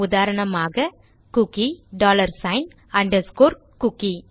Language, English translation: Tamil, For example a cookie ,Ill put a dollar sign then underscore cookie